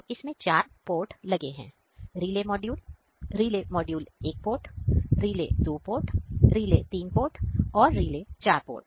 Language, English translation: Hindi, So, in this one we have four port; relay module, relay 1 port, relate 2, relay 3, relay 4